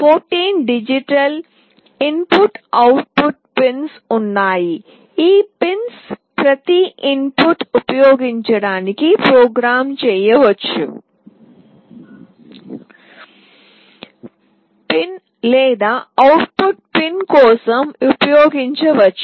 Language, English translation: Telugu, There are 14 digital input output pins, each of these pins can be programmed to use as an input pin or it can be used for output pin